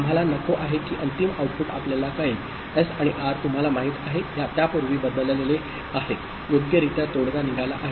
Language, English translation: Marathi, We do not want the final output gets you know, changed before S and R are you know, properly settled